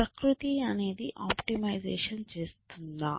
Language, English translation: Telugu, So, does nature to optimization